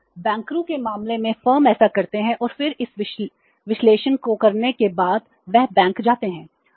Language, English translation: Hindi, So, in case of the bankers, firms do it and then after doing this analysis they go to the bank